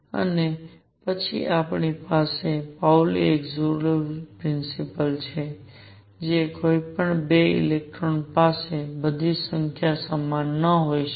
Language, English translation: Gujarati, And then we have the Pauli Exclusion Principle, that no 2 electrons can have all numbers the same